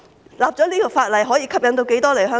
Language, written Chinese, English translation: Cantonese, 訂立這項法例後可以吸引多少醫生來港？, How many doctors will be attracted to Hong Kong upon the enactment of this law?